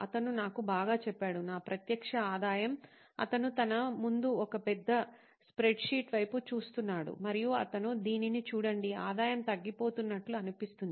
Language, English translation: Telugu, And he told me well, my direct revenue, he was looking at a big spreadsheet in front of him and he said look at this, the revenue seems to be dwindling